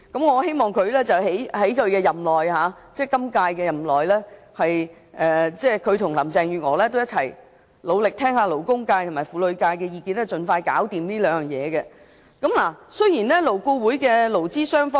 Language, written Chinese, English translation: Cantonese, 我希望局長在今屆任內和林鄭月娥一起努力，聆聽勞工界和婦女界的意見，盡快處理好這兩項工作。, I hope the Secretary will work with Carrie LAM during his term of office to listen to the views of the labour and women sectors and tackle these two issues expeditiously